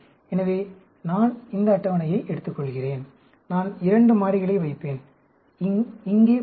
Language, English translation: Tamil, So, I take this table, and I will put two variables here dummy